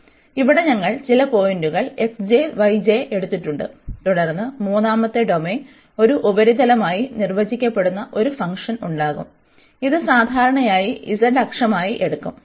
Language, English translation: Malayalam, So, here we have taken some point x j, y j and then there will be a function defined as a surface in the third dimension, which is usually taken as z axis